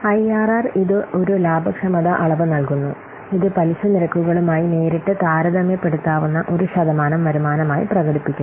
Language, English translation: Malayalam, IRR, it provides a profitability measure and it expressed as a percentage return that is directly comparable with interest rates